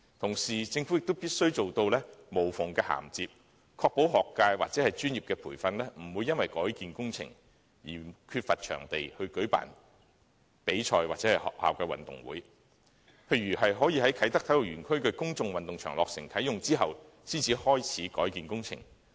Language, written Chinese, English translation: Cantonese, 同時，政府必須做到無縫銜接，確保學界或專業培訓團體不會因為改建工程而缺乏場地舉辦比賽或學校運動會，例如可以在啟德體育園區的公眾運動場落成及啟用後，才開始改建工程。, Meanwhile the Government must achieve seamless conversion to ensure that the schools or professional training bodies will not lack venues to hold competitions or schools sports days . For instance redevelopment works can commence after the completion and commissioning of the public games area in the Kai Tak Sports Park